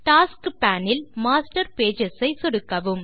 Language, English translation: Tamil, From the Tasks pane, click on Master Pages